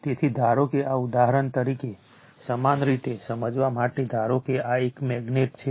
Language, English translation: Gujarati, So, suppose this is suppose for example, for your understanding suppose this is a magnet right